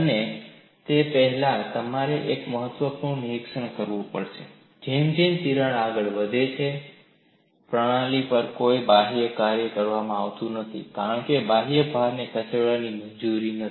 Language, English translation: Gujarati, And before that, you will have to make one important observation: as the crack advances, no external work is done on the system because the external load is not allowed to move